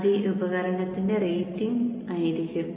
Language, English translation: Malayalam, So that would be the rating for this device